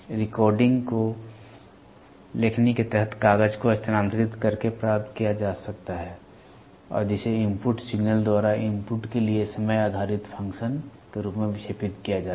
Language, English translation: Hindi, The recording which can be obtained by moving the paper under the stylus and which is deflected by the input signal as a time based function for the input